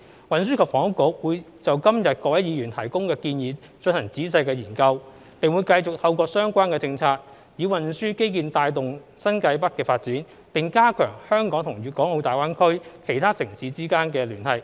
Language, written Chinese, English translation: Cantonese, 運輸及房屋局會就今日各位議員提供的建議進行仔細研究，並會繼續透過相關政策，以運輸基建帶動新界北發展，並加強香港與大灣區其他城市間的聯繫。, The Transport and Housing Bureau will study in detail the proposals provided by Members today and continue to spur the development of New Territories North with transport infrastructure and strengthen the connection between Hong Kong and other cities in GBA through relevant policies